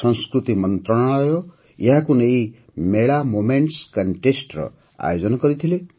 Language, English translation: Odia, The Ministry of Culture had organized a Mela Moments Contest in connection with the same